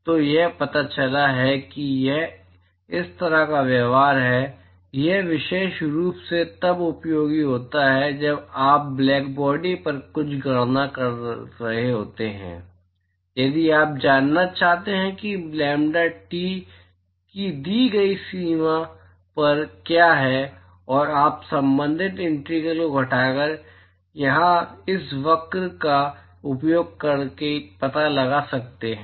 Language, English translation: Hindi, So, it turns out that this is the kind of behaviour so; it is particularly useful when you are doing certain calculations on blackbody, if you want to know what is the emission at a given range of lambdaT then you can simply find out using this curve here by subtracting the corresponding integrals